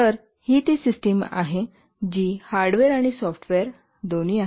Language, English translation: Marathi, So this is the system which is both hardware and software